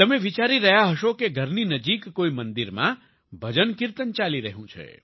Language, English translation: Gujarati, You must be thinking that bhajan kirtan is being performed in some temple in the neighbourhood